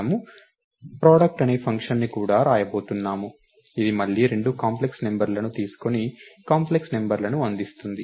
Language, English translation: Telugu, function called product, which again takes two complex numbers and returns a complex number